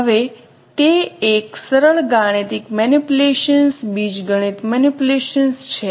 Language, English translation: Gujarati, Now it is a simple mathematical manipulations, algebra manipulation